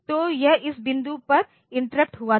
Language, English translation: Hindi, So, it was interrupted at this point